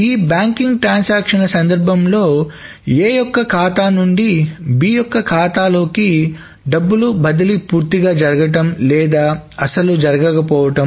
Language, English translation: Telugu, So, that means in this banking transaction scenario, either the money has been transferred from A's account to B's account completely or it has not happened at all